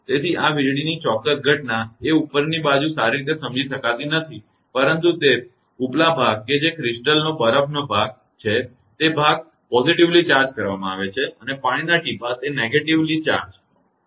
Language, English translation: Gujarati, So, upper side actually at the exact phenomena of this lightning is not well understood, but that upper portion that is the ice portion of crystal, portion it is positively charged and water droplet it is negatively charged